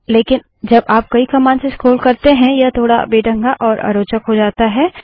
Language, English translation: Hindi, But when you have to scroll through many commands this becomes a little clumsy and tedious